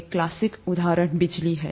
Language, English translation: Hindi, A classic example is electricity